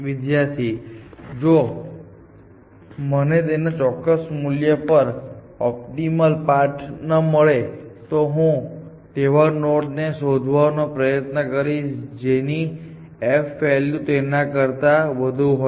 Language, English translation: Gujarati, If I do not the optimal path at a certain value of that then what I am doing is I am finding the node with the value of f just higher than that